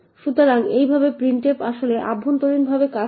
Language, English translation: Bengali, So, this is how printf actually works internally